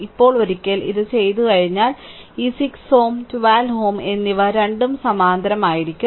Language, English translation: Malayalam, Now, once you have done this then this 6 ohm and 12 ohm both are in parallel